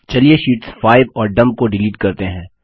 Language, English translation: Hindi, Let us delete Sheets 5 and Dump